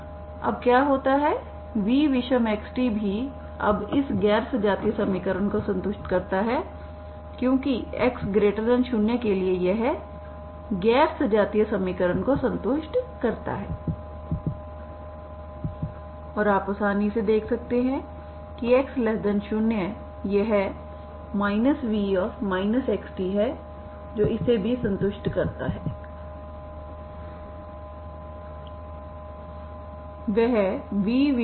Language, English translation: Hindi, Now what happens v odd also satisfies this non homogeneous equation now because for x positive this satisfies non homogeneous equation and you can easily see that x negative this is minus v of minus x, t that also satisfies this equation, okay